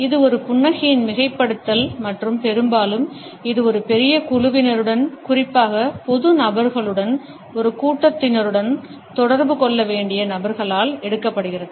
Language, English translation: Tamil, It is the exaggeration of a smile and often it is taken up by those people who have to interact with a large group of people, particularly the public figures while interacting with a crowd